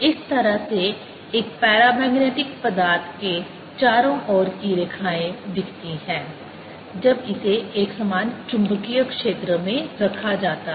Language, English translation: Hindi, this is how a paramagnetic material, the lines around it, would look when its put in a uniform magnetic field